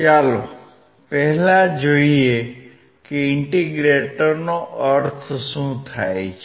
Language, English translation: Gujarati, Let us first see what exactly an indicator means